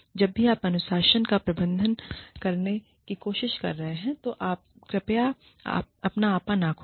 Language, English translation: Hindi, Whenever, you are trying to administer discipline, please do not, lose your temper